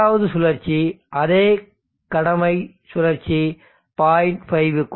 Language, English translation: Tamil, The second cycle same duty cycle less than